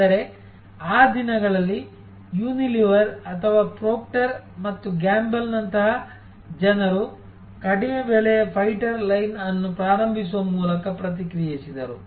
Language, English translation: Kannada, But, in those days, people like a Unilever or Proctor and Gamble, they responded with by launching a low price fighter line